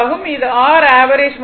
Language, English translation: Tamil, This is your average value